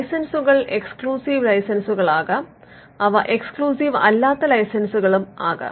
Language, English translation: Malayalam, Now, licenses can be exclusive licenses; they can also be non exclusive licenses